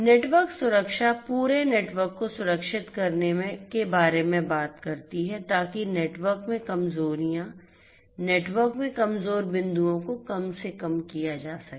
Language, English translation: Hindi, Network security talks about securing the entire network so that the vulnerabilities in the network, the vulnerable points in the network are minimized